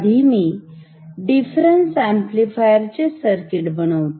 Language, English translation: Marathi, Let me quickly copy the circuit of the difference amplifier